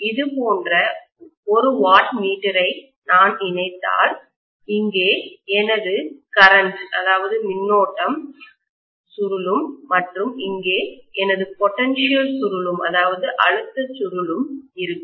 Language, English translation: Tamil, If I connect a wattmeter like this, here is my current coil and here is my potential coil